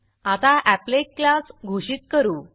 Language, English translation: Marathi, Let us now define our applet class